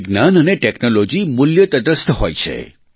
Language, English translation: Gujarati, Science and Technology are value neutral